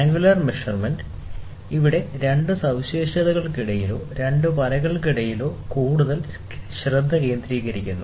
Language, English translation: Malayalam, So, in angular measurement, here we are more focused towards the angle between two features or between two lines